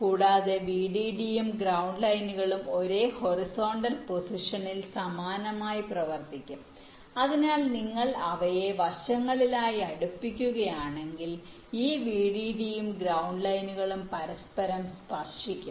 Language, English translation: Malayalam, in the vdd and ground lines will be running similarly in the exact same horizontal positions so that if you put them side by side, bring them closer together, this vdd and ground lines will touch each other